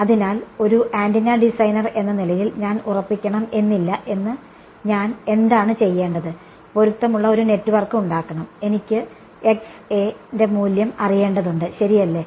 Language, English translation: Malayalam, So, as an antenna designer I am may not fix what I have to make my matching network, I need to know the value of Xa right